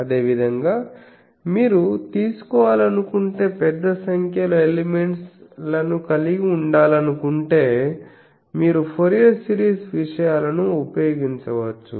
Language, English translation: Telugu, Similarly, if you want to have an large number of elements if you want to take, you can use the Fourier series things